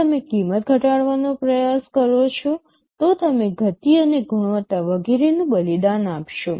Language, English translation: Gujarati, If you try to reduce the cost you will be sacrificing on the speed and quality and so on